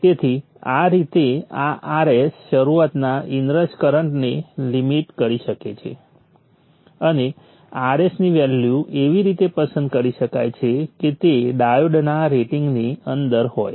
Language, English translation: Gujarati, So this way this R S can limit the in rush start up inrush current and the value of the R S can be chosen such that it is within the rating of the diodes